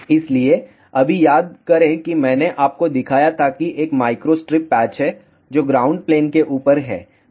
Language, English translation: Hindi, So, just recall now I showed you there is a microstrip patch, which is on top of the ground plane